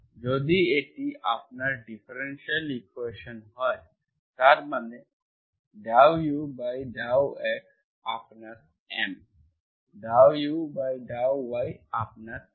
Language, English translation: Bengali, If this is your differential equation, that means this is your M, this is your N